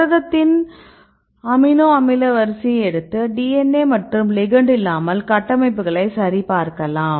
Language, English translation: Tamil, But in the free protein what we do is we take the amino acid sequence and check for the structures without any ligands without any DNA